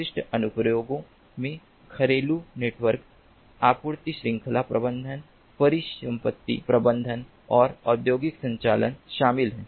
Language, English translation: Hindi, typical ah application includes home networks, supply chain management, asset management and industrial automation